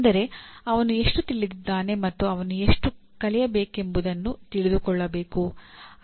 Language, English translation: Kannada, That is, one should know how much he knew and how much he has to learn